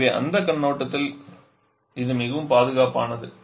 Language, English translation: Tamil, So it is much safer from that point of view